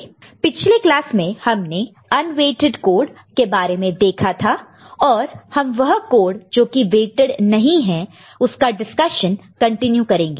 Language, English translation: Hindi, In the last class we saw unweighted code, and we continue with the discussion of codes which are not weighted